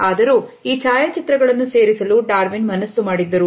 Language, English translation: Kannada, However, Darwin had insisted on including these photographs